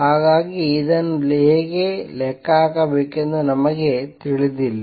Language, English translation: Kannada, However, we do not know how to calculate it